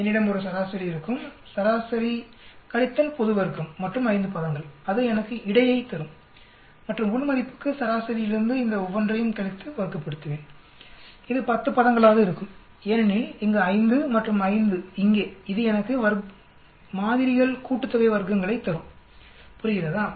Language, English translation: Tamil, I have an average, average minus global square and 5 term that will give me the between, and for within I will, from the average I keep subtracting for each one of them, square it up, it will be 10 terms because 5 for here, and 5 for here, that will give me the within samples sum of squares, understand